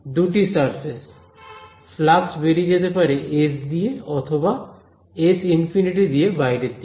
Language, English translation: Bengali, Two surfaces flux could be leaking at through s outwards or through s infinity outwards ok